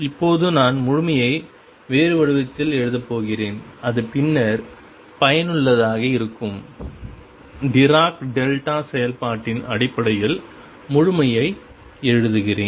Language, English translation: Tamil, Now, I am going to write completeness in a different form and that is useful later, writing completeness in terms of dirac delta function